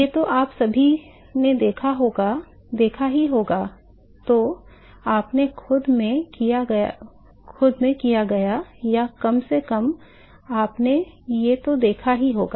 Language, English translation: Hindi, All of you must have seen this either you have done it in yourself or at least you have observed this